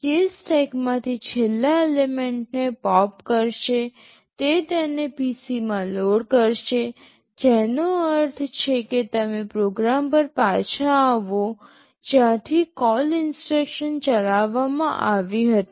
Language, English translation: Gujarati, It will pop the last element from the stack, it will load it into PC, which means you return back to the program from where the call instruction was executed